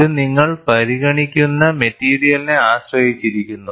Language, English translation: Malayalam, It depends on what material you are considering